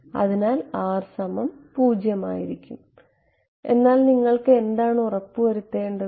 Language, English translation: Malayalam, So, R is equal to 0 ok, but what do you have to ensure